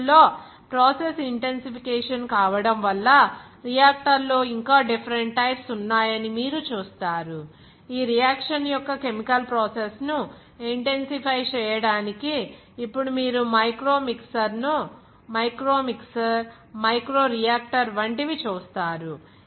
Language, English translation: Telugu, But nowadays the process intensification you will see there are several other different types of the reactor is now coming for the intensify the chemical process of this reaction you will see that like micromixer, microreactor